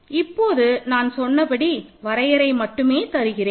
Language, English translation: Tamil, But now let me actually give you the definition that I promised